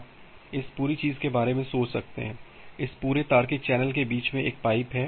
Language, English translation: Hindi, You can just think of this entire thing, this entire logical channel in between has a pipe